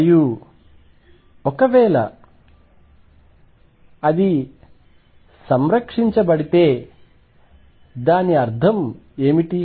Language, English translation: Telugu, And if it is conserved, what does it mean